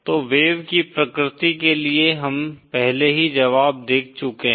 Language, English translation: Hindi, So for the wave nature we have already seen the solution